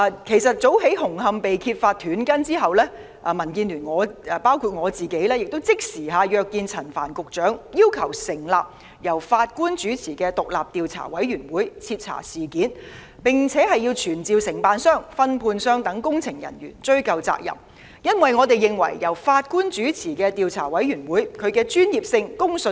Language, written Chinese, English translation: Cantonese, 其實，早於紅磡站工程被揭發"短筋"後，民建聯的議員已即時約見陳帆局長，要求成立由法官主持的獨立調查委員會徹查事件，並要傳召承辦商、分判商等的工程人員追究責任，因為我們認為由法官主持的調查委員會具備較高專業性及公信力。, Indeed as early as it was uncovered that steel reinforcement bars in Hung Hom Station were cut short Members of DAB myself included immediately lined up a meeting with Secretary Frank CHAN and requested that an independent commission of inquiry chaired by a Judge be set up to conduct a thorough inquiry into the incident and summon engineering personnel of the contractors and subcontractors to ascertain responsibility for the reason that we consider a commission of inquiry chaired by a Judge more professional and credible